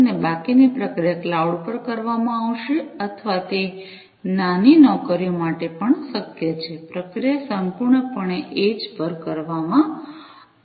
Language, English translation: Gujarati, And the rest of the processing will be done at the cloud or it is also possible for small jobs, the processing will be done completely at the edge